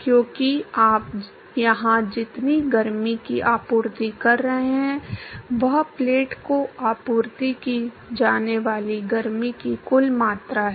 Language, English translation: Hindi, Because, what is the amount of heat that you are supplying here is the total amount of heat that is supplied to the plate